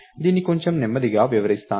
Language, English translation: Telugu, So, lets take this a little slowly